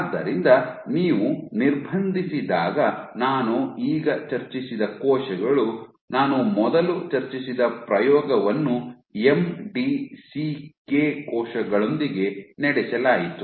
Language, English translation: Kannada, So, when you confine, so the cells which I was I had discussed just now the experiment I discussed first now was performed with MDCK cells